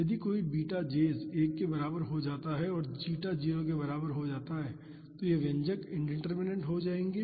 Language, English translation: Hindi, If any of the beta j s becomes equal to 1 and zeta is equal to 0 both these expressions will become indeterminate